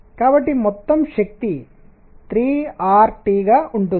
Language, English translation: Telugu, So, the total energy is going to be 3 R T